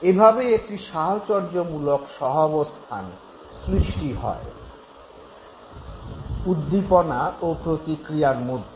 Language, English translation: Bengali, An association has been formed between the stimulus and the response